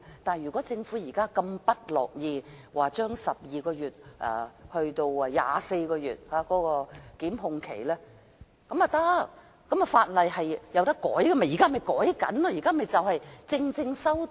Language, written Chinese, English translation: Cantonese, 但是，如果政府如此不樂意將檢控期限由12個月延長至24個月，也不要緊，法例是可以修訂的，我們現在便正要作出修訂。, However if the Government is so reluctant to extend the time limit for prosecution from 12 months to 24 months it does not matter . Since legislation is subject to amendment we will propose such an amendment